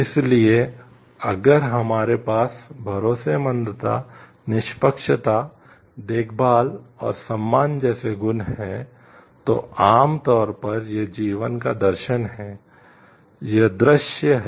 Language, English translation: Hindi, So, if we have these qualities like trustworthiness, fairness, caring and respect generally it is the philosophy of life it is the view